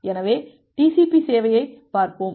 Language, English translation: Tamil, So, what TCP does